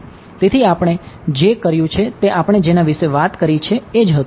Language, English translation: Gujarati, So, what we have done is that we have spoken about